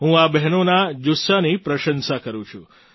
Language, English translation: Gujarati, I appreciate the spirit of these sisters